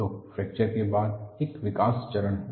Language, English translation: Hindi, So, there is a growth phase followed by fracture